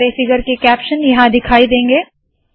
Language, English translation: Hindi, All the figure captions will appear here